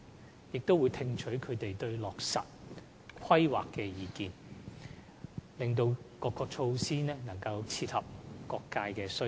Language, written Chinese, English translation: Cantonese, 辦公室並會聽取業界對落實《規劃》的意見，使各項措施能切合業界需要。, The Office will also listen to the views of various sectors regarding the implementation of the Development Plan so that the measures can meet their needs